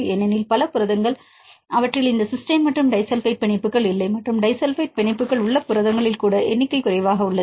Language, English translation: Tamil, Because it is rare; because many proteins, they do not have these cysteine and disulfide bonds and even in the proteins with disulfide bonds the number is less